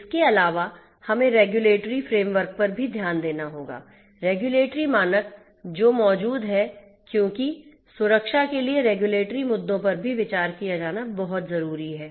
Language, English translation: Hindi, In addition, we also have to take into consideration the regulatory framework, the regulatory standards that are existing because the regulatory issues are also a very important alongside to be considered for security